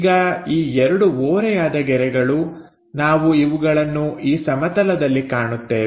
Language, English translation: Kannada, Now, these two incline lines, we are observing it on this plane